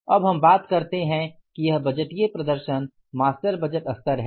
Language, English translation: Hindi, Now we talk this is the budgetary performance, the master budget level